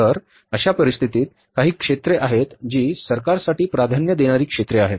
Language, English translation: Marathi, So, in that case there are some sectors which are the priority sectors for the government, government is going to support